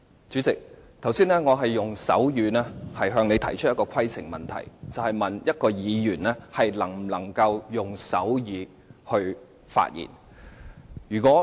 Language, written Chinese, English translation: Cantonese, 主席，我剛才用手語向你提出規程問題，詢問議員能否用手語發言。, President I raised a point of order in sign language just now asking you whether Members are permitted to deliver their speeches in sign language